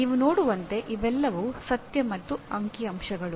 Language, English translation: Kannada, As you can see these are all facts and figures